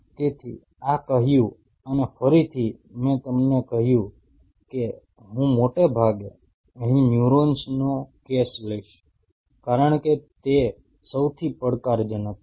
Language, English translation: Gujarati, So, having said this and again as I told you that I will be taking mostly the case of neurons here, because they are the most challenging ones